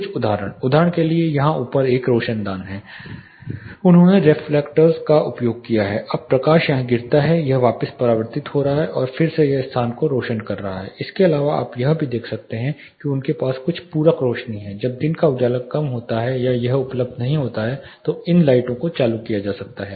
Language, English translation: Hindi, (Refer Slide Time: 13:43) Some examples for you know for instance there is a skylight on top here they have used reflectors now the light is incident it is getting reflected back and then, it is lighting the space apart from this you can also notice they have certain supplementary lights when, daylight is less or it is not available then these lights can be turned on